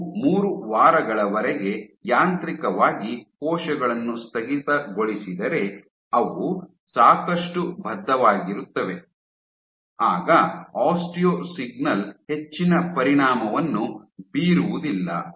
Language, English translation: Kannada, So, the strength if you mechanically condition the cells for 3 weeks, they are committed enough then the osteo signal is not going to have much of an effect